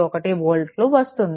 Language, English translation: Telugu, 491 volt right